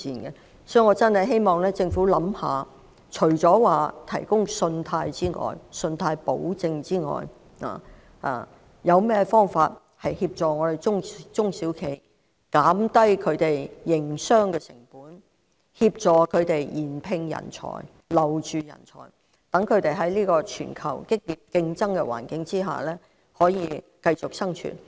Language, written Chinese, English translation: Cantonese, 因此，我真的希望政府可以考慮，除了提供信貸保證之外，還有甚麼方法去協助中小企，減低他們的營商成本，協助他們聘請及留住人才，讓他們得以在全球競爭激烈的環境下繼續生存。, Therefore I really hope the Government will consider measures other than providing credit guarantees to assist SMEs in lowering their business costs as well as employing and retaining talents so that they can continue to survive in the intense international competition